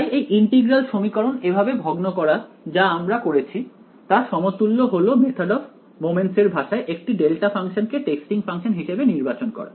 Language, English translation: Bengali, So, discretizing the integral equation like what we did is equivalent in the language of method of moments to choose a delta function as the testing function